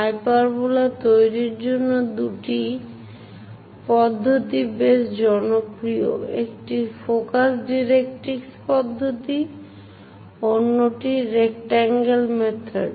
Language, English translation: Bengali, There are two methods quite popular for constructing hyperbola; one is focus directrix method, other one is rectangle method